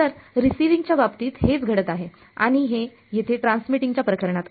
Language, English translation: Marathi, So, this is what is happening in the receiving case and this is in the transmitting case over here